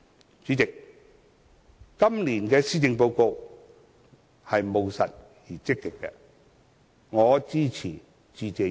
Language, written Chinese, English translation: Cantonese, 代理主席，今年的施政報告是務實而積極的，我支持致謝議案。, Deputy President I find the Policy Address this year pragmatic and proactive and I pledge my support to the Motion of Thanks